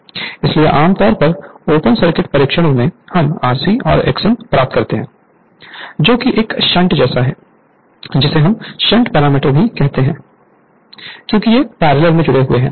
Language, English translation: Hindi, So, generally open circuit test we for to obtain R c and X m that is a sh[unt] we call a shunt parameter because these are connected in parallel